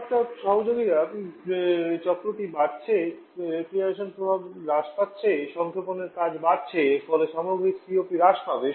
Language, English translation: Bengali, The highest temperature associate the cycle is increasing refrigeration effect is decreasing compression work is increasing lead a reduction to overall COP